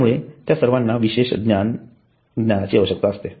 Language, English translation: Marathi, So all of them require specialized knowledge